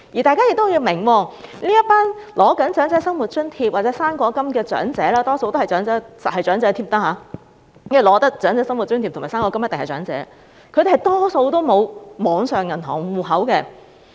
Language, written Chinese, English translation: Cantonese, 大家要明白，這些正在領取長者生活津貼或"生果金"的長者——他們一定是長者，領取長者生活津貼和"生果金"的一定是長者——他們大多數沒有網上銀行戶口。, The authorities should understand that the people receiving OALA or fruit grant are old―they are old definitely as they are receiving OALA and fruit grant―and the majority of them do not have online banking accounts